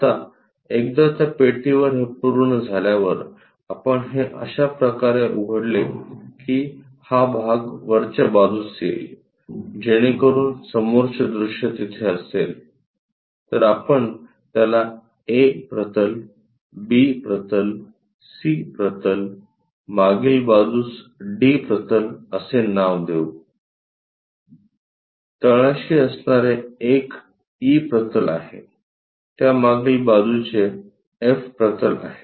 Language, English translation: Marathi, Now, once it is done on that box, we open it in such a way that this part comes to top so that the front view will be there, let us name it like A plane, B plane, C plane, the back side of is D plane, the bottom one is E plane, the back side of that is F plane